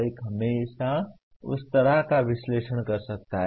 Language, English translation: Hindi, One can always do that kind of analysis